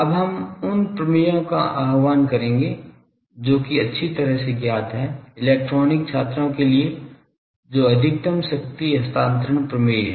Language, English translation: Hindi, Now, we will invocate theorem that is well known, for electronic students that maximum power transfer theorem